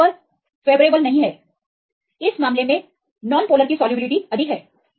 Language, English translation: Hindi, So, transfer is unfavourable in this the case the solubility of non polar is more